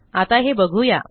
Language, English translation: Marathi, So lets have a look